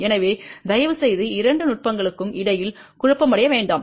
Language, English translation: Tamil, So, please do not get confused between the two techniques